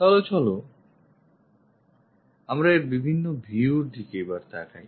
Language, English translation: Bengali, So, let us look at the various views of this